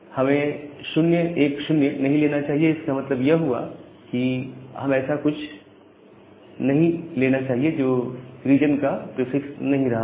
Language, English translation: Hindi, So, we should not take 0 1 0, so we should take something which is not becoming a prefix of the regional one